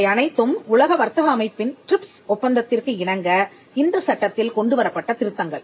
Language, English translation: Tamil, These were all amendments that brought the act in compliance with the TRIPS agreement of the WTO